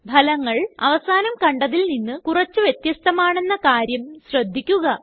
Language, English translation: Malayalam, Observe that the results are slightly different from last time